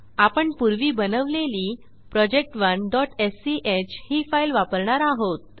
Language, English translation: Marathi, We will use the file project1.sch created earlier